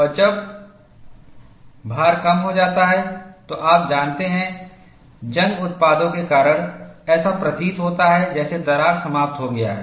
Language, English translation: Hindi, And when the load is reduced, you know, because of corrosion products, it appears as if the crack is closed